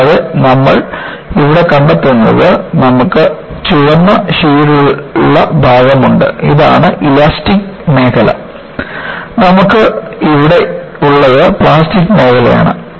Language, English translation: Malayalam, And, what you find here is, you have the red shaded portion, this is the elastic region and what you have here is the plastic region